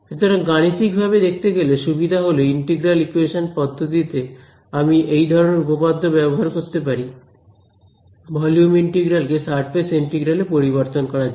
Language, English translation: Bengali, So, from a computational point of view, the advantage is that in an integral equation method what I can use theorems like this, to convert a volume integral into a surface integral